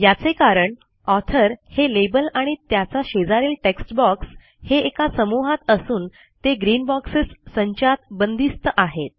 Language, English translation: Marathi, This is because we see that the author label and its textbox adjacent to it, are encased in one set of green boxes